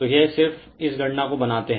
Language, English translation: Hindi, So, it just make this calculation